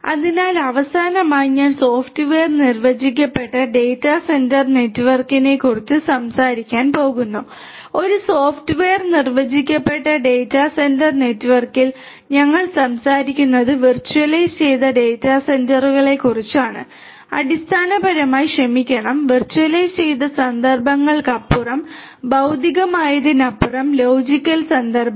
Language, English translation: Malayalam, So, lastly I am going to talk about the software defined data centre network, in a software defined data centre network we are talking about virtualized data centres which are basically the physical instances beyond the sorry the virtualized instances the logical instances beyond the physical ones